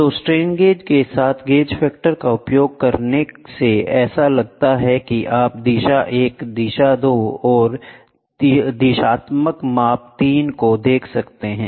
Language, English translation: Hindi, So, using gauge factor with strain gauges to the strain gauge looks like you can have 1 direction 2 direction and 3 directional measurements, ok